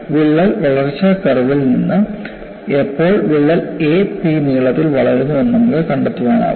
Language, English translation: Malayalam, On the crack growth curve you can find out, when does the crack grows to the length a p